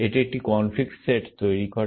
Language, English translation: Bengali, What this produces is a conflict set